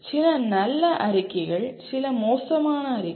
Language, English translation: Tamil, Some are good statements some are bad statements